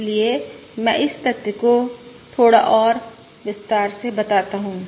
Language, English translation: Hindi, So let me elaborate on that fact a little bit more